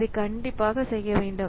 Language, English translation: Tamil, So, this has to be done